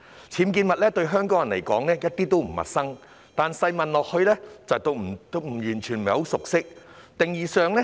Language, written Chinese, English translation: Cantonese, 僭建物對香港人而言一點都不陌生，但細問之下，我們會發現他們對僭建物的認識不深。, UBWs are nothing new to Hong Kong people but upon further enquiries we notice that the people do not have a deep understanding of UBWs